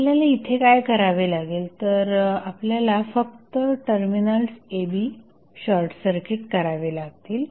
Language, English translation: Marathi, So, what we have to do we have to just short circuit the terminals AB